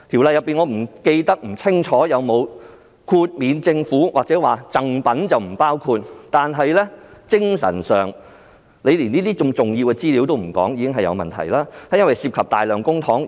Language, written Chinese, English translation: Cantonese, 我不記得《條例》有否豁免政府或把贈品豁免在外，但在精神上，如果連這些重要資料也不透露，已是很有問題，因為當中涉及大量公帑。, I do not remember whether the Government or gifts are exempted from the Ordinance . However morally it is already a big problem if such important information is not disclosed because a large amount of public money is involved